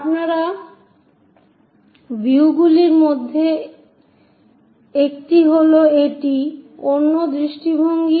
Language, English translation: Bengali, One of your view is this, the other view is this